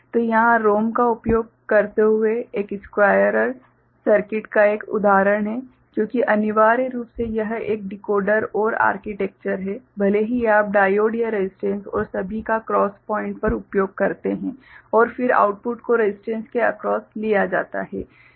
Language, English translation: Hindi, So, here is an example of a squarer circuit using ROM, because essentially it is a Decoder OR architecture is there right, even if you use diode or you know resistance and all at the cross point and then output taken across the resistance right